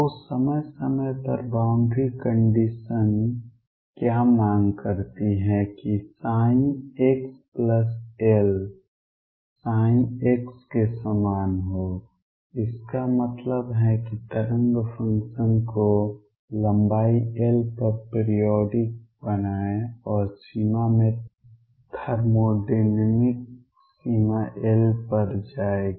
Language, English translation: Hindi, So, what periodic boundary condition does is demand that psi x plus L be same as psi x; that means, make the wave function periodic over a length L and in the limit thermodynamic limit will at L go to infinity